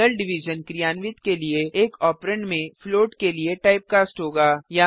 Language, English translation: Hindi, To perform real division one of the operands will have to be typecast to float